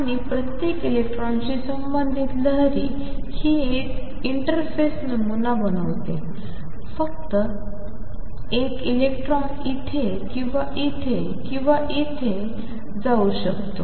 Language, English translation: Marathi, And it is the wave associated with each electron that form a interface pattern is just that one electron can go either here or here or here or here